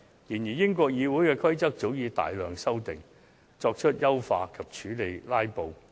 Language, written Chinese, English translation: Cantonese, 然而，英國國會的規則早已作出大量修訂，以優化議事程序及處理"拉布"。, However the rules of procedure of the British Parliament had already been drastically revamped to enhance proceedings of the Parliament and deal with filibusters